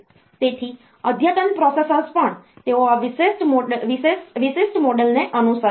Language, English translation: Gujarati, So, even advanced processors, they will follow this particular model